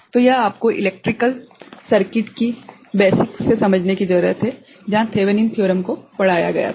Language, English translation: Hindi, So, this you need to understand from the basics of electrical circuit where Thevenin’s Theorem was taught ok